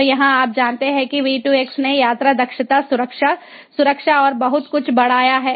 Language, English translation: Hindi, so here, ah, you know, v two x has greatly enhanced the travel efficiency, the safety, security and so on